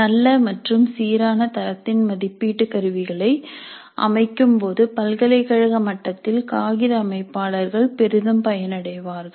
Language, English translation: Tamil, Paper setters at the university level can greatly benefit while setting assessment instruments of good and uniform quality